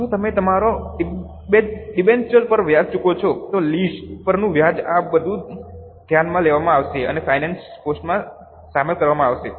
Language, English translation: Gujarati, If you pay interest on your debentures, interest on lease, all these will be considered and included in finance costs